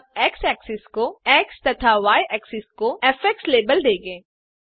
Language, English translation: Hindi, we shall label x axis to x and y axis to f